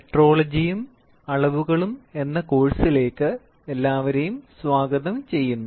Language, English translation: Malayalam, Welcome, to the course on Metrology and measurements